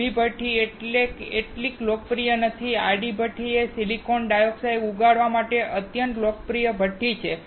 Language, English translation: Gujarati, Vertical furnace is not so popular and horizontal furnace is the extremely popular furnace to grow the silicon dioxide